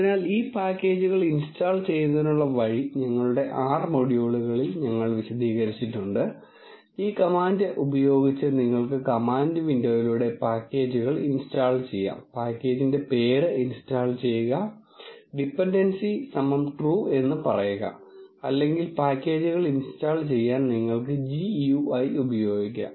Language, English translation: Malayalam, So, the way to install this packages we have explained in our R modules, you can install the packages through the command window using this command install dot pack ages and the package name and say dependencies equal to true or you can use the GUI to install the packages